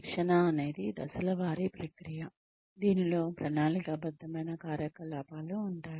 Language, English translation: Telugu, Training is a, step by step process, in which, it consists of planned programs